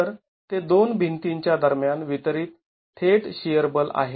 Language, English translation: Marathi, So, that's the direct shear force distributed between the two walls